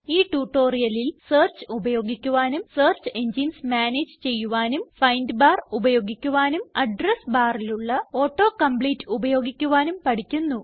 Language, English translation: Malayalam, In this tutorial we will learnt how to Use Search, Manage Search Engine,Use the find bar,use Auto compete in Address bar Try this comprehension test assignment